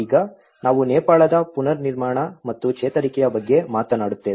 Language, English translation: Kannada, Now, we talk about the reconstruction and recovery of Nepal